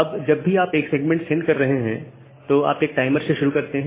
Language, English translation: Hindi, Now, whenever your segment whenever you are sending a segment you start a timer